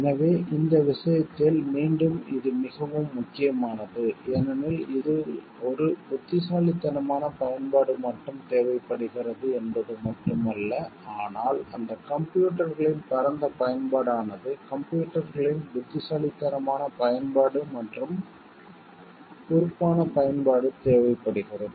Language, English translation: Tamil, So, in this case again, it is very important like it is not only a wise usage is required in this, but also it is the wide usage of those computers throughout which you requires a wise usage and responsible usage of the computers